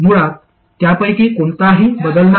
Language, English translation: Marathi, Basically neither of these changes